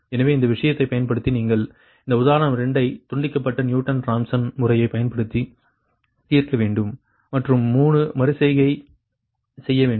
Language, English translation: Tamil, you have to solve that example two using decoupled newton rawson method and perform three iteration